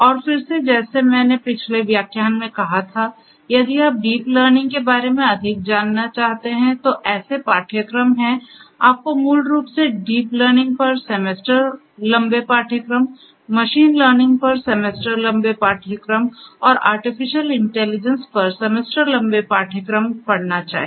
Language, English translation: Hindi, And again, like I said in the previous lecture, if you are interested to know more about deep learning, there are courses you should basically do semester long courses on deep learning, semester long courses on machine learning, and semester long courses on artificial intelligence